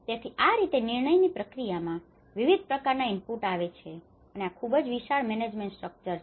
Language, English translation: Gujarati, So this is how there is a variety of inputs come into the decision process, and this is very huge management structure